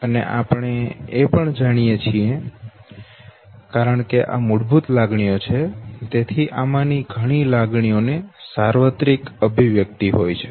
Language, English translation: Gujarati, And we also know that, because these are basic emotions, so there is a possibility of many of these emotions to be considered as universal expressions